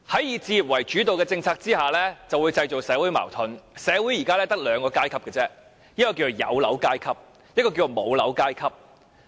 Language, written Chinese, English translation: Cantonese, "以置業為主導"的政策會製造社會矛盾，社會現時只有兩個階級："有樓階級"及"無樓階級"。, A housing policy premised on home ownership will create social contradictions . There are only two social classes presently property owners and non - property owners